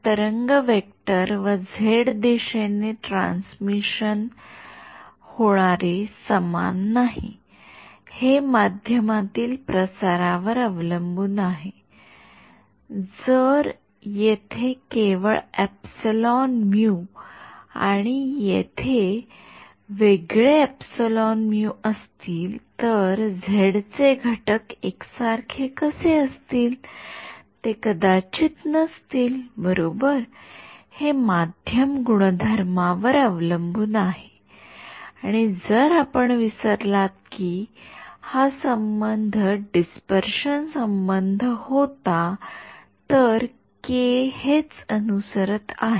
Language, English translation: Marathi, The wave vector and transmission along the z direction will not be the same right, it depends on the propagation in the medium, if I have different epsilon mu here and different epsilon mu here, why will the z components be the same, they may not be right, it depends on the medium properties and in case you forgot this was the relation followed by the dispersion relation over here, this is what these k’s are following right